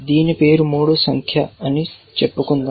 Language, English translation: Telugu, Let us say name is 3